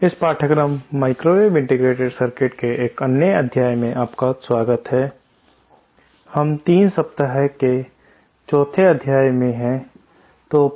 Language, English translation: Hindi, Welcome to another module of this course microwave integrated circuits, we are in week 3, module 4